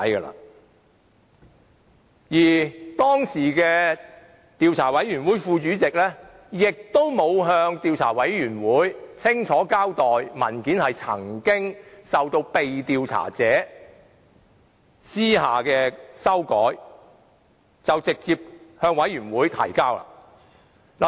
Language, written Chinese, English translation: Cantonese, 此外，當時的專責委員會副主席亦沒有向專責委員會清楚交代被調查者曾私下修改文件，便直接把文件提交專責委員會。, Furthermore the then Deputy Chairman of the Select Committee had not given a clear account of the clandestine amendment made by the subject of inquiry before passing the document to the Select Committee